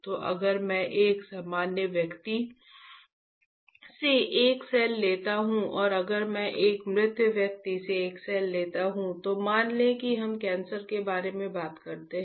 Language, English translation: Hindi, So, if I take a cell from a normal person and if I take a cell from a deceased person, let us say we talk about the cancer